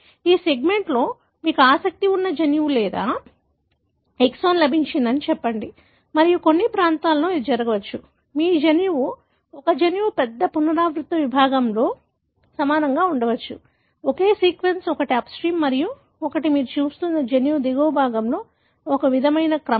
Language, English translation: Telugu, Let us say, this segment has got a gene that you are interested in or an exon and it may so happen at certain regions, your genome, a gene may be flanked by a large repeated segment, identical sequence, one on the upstream and one identical sequence on the downstream of the gene that you are looking at